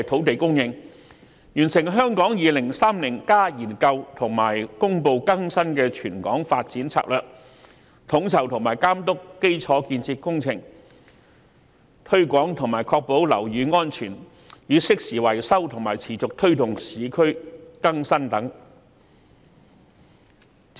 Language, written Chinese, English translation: Cantonese, 其他工作包括完成《香港 2030+》研究及公布經更新的全港發展策略、統籌及監督基礎建設工程、推廣和確保樓宇安全與適時維修，以及持續推動市區更新等。, Other functions include completing the Hong Kong 2030 study and promulgating the updated territorial development strategy coordinating and overseeing the infrastructure works projects promoting and ensuring building safety and timely maintenance as well as continuing to facilitating urban renewal etc